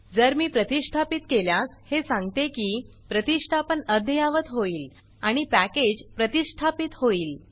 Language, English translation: Marathi, Now if I say install, it says that this installation will be updated, one package will be installed